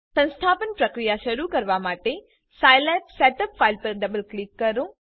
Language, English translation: Gujarati, Double click on the scilab setup file to start the installation procedure